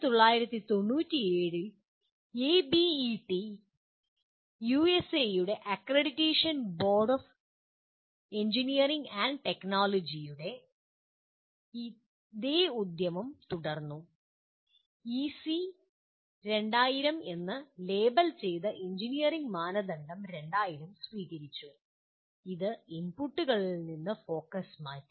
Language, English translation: Malayalam, And the same exercise was continued by ABET, the accreditation board of engineering and technology of USA in 1997 adopted Engineering Criteria 2000 labelled as EC2000 which shifted the focus away from the inputs